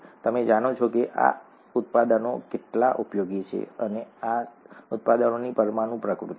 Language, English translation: Gujarati, You know how useful these products are, and this is the molecular nature of these products